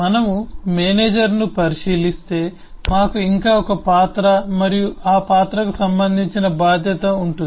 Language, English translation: Telugu, if we look into the manager, we have yet one more role and the associated responsibility for that role